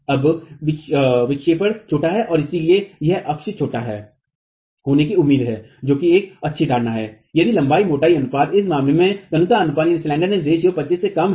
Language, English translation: Hindi, Now the deflections are small and so this axial shortening is not expected to occur which is a fairly good assumption if the length to thickness ratio